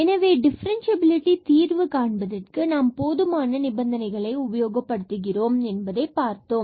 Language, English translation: Tamil, So, what we have seen that to prove the differentiability either we can use the sufficient condition